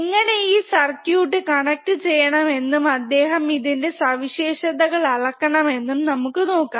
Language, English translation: Malayalam, So, let us see how to how to connect this particular circuit and how to measure the characteristics ok, alright